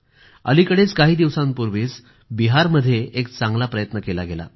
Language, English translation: Marathi, Just a while ago, Bihar launched an interesting initiative